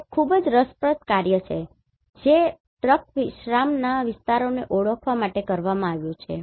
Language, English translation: Gujarati, This is a very interesting work which has been done to identify the truck resting areas